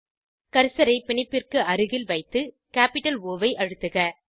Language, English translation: Tamil, Place the cursor near the bond and press capital O